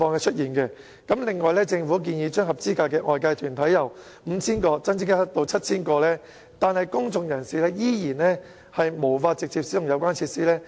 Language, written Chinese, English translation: Cantonese, 此外，政府建議將合資格的外界團體由 5,000 個增加至 7,000 個，但公眾人士仍然無法直接使用有關設施。, In addition the Government recommends that the number of qualified outside bodies shall be increased from 5 000 to 7 000 . However the public are still denied any direct usage of the related facilities